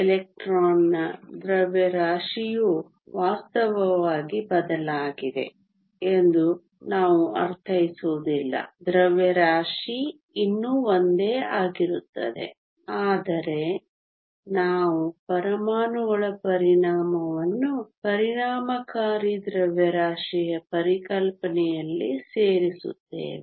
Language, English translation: Kannada, Just a reminder we do not mean that the mass of the electron is actually changed the mass still remains the same, but we just club the effect of the atoms into this concept of the effective mass